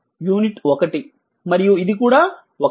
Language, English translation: Telugu, And this is unit this is also 1 right